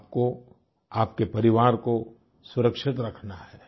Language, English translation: Hindi, You have to protect yourself and your family